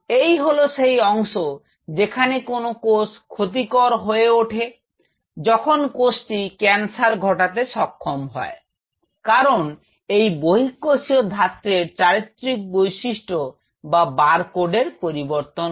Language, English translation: Bengali, This is that part where when a cell becomes rogue, when the cell becomes cancerous because this extracellular matrix signature or barcode is compromised